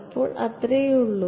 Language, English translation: Malayalam, So, that is that is all there is